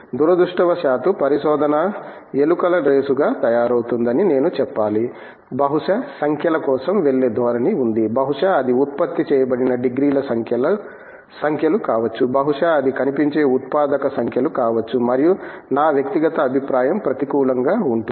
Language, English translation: Telugu, I must also say that unfortunately research is being made a rat race that there is a tendency to go for numbers, maybe it is the numbers of degrees produced, maybe it is the numbers of visible outputs produced, and that in my personal opinion is counterproductive